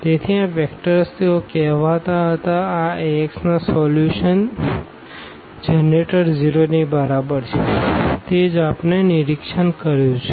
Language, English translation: Gujarati, So, these vectors they are so called the generators of the solution of this Ax is equal to 0, that is what we have observed